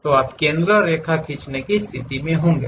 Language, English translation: Hindi, So, you will be in a position to draw a center line